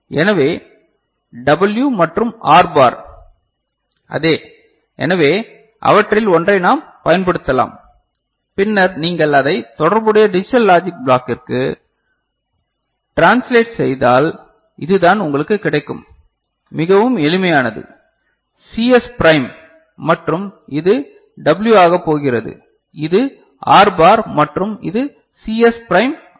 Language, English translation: Tamil, So, W and R bar is you know, the same so, we can use one of them and then if you translate it to a corresponding digital logic block this is what you get; very simple is it fine, CS prime and this is going as W, that is R bar and this is CS prime R